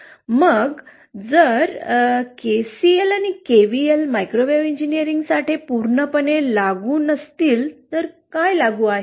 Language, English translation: Marathi, So then, if KCL and KVL are not totally applicable for microwave engineering then what is applicable